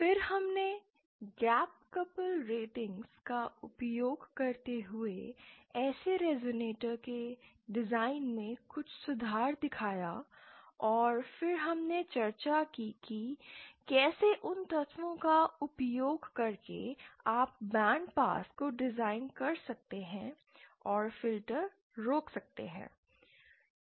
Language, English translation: Hindi, Then we also showed some improvement in the design of such resonators using the gap couple ratings and then we discussed how using those elements you can design band pass and stop filters